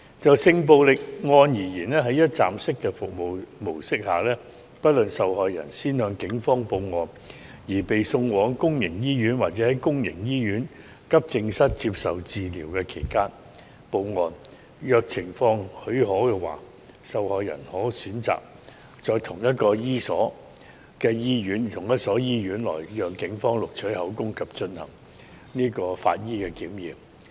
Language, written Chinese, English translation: Cantonese, 就性暴力案而言，在一站式的服務模式下，不論受害人先向警方報案而被送往公營醫院，或在公營醫院急症室接受治療期間報案，如情況許可，受害人可選擇在同一所醫院內讓警方錄取口供及進行法醫檢驗。, As far as sexual violence is concerned under the one - stop service model no matter whether the victims are sent to hospital after they have made a report to the Police or they have made the report to the Police while they are receiving treatments at the Accident and Emergency Department of a public hospital they may choose to give the statement to the Police and receive forensic examinations at the same hospital if the situation permits